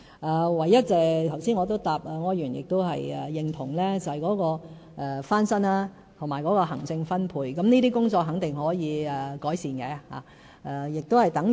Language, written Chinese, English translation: Cantonese, 就柯議員剛才所說，我認同有單位翻新和分配的行政問題，但這些工作肯定是可以改善的。, As regards the question raised by Mr OR I acknowledge that there are some administrative issues with the renovation and re - allocation of units . But we can definitely make improvement in these areas